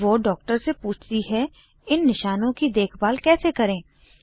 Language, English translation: Hindi, She asks the doctor how to take care of such rashes